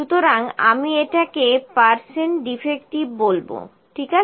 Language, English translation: Bengali, So, I will call it percent defective, ok